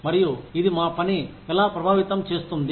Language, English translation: Telugu, And, how this can affect our work